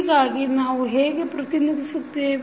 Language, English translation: Kannada, So, how we will represent